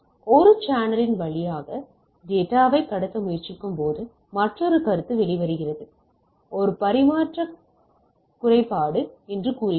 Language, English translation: Tamil, So, there is another consideration comes out when we try to transmit data over a channel right, what we say it is a transmission impairment right